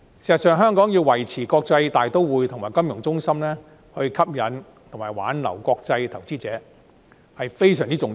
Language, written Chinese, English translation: Cantonese, 事實上，香港若要維持國際大都會及金融中心的地位，吸引和挽留國際投資者非常重要。, In fact attracting and retaining international investors is very important if Hong Kong is to maintain its status as an international metropolis and financial centre